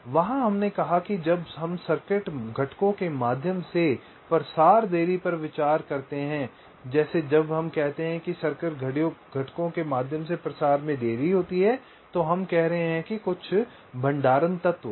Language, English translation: Hindi, so what we discussed when we discussed the clocking there, we said that when we consider propagation delays through circuit components, like when we say propagation delay through circuit components, we are saying that there are some storage elements